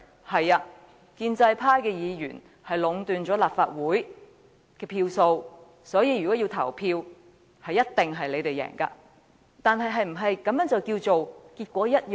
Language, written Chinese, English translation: Cantonese, 沒錯，建制派議員壟斷了立法會的票數，每次投票表決，他們一定會勝利，但這是否"結果一樣"？, It is true that with the pro - establishment Members constituting the majority in the Legislative Council they will win in every vote but does this mean the result is just the same?